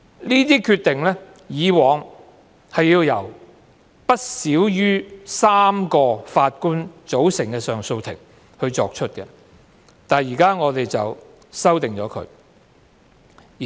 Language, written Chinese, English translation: Cantonese, 有關決定以往須由不少於3名法官組成的上訴法庭作出，但政府現在提出修訂。, In the past the relevant decisions must be made by a Court of Appeal consisting of no less than three judges . But now the Government intends to introduce amendment